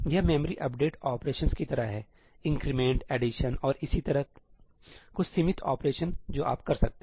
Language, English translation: Hindi, It is like memory update operations, increment, addition and so on some limited set of operations that you can do